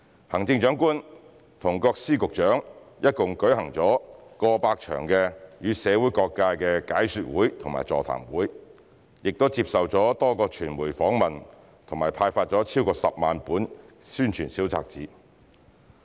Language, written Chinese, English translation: Cantonese, 行政長官和各司局長一共舉行了過百場予社會各界的解說會和座談會，並接受了多個傳媒訪問和派發了超過10萬本宣傳小冊子。, The Chief Executive Secretaries of Departments and Directors of Bureaux have held over a hundred seminars and briefing sessions for various sectors of the community . They have also attended numerous media interviews and distributed over 100 000 publicity booklets